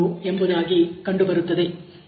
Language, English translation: Kannada, 327 in this particular case